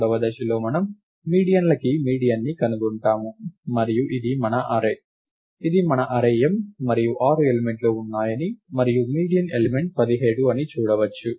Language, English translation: Telugu, In the third step we find the median of the medians, and this is our array A, this is our array M and one can see that there are 6 elements and the median element is the element 17